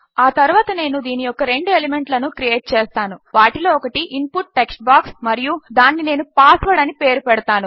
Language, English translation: Telugu, Next Ill just create two elements of this which is an input text box and Ill give the name of password